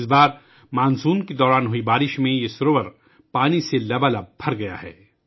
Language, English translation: Urdu, This time due to the rains during the monsoon, this lake has been filled to the brim with water